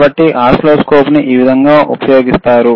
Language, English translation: Telugu, So, this is how the oscilloscopes are used,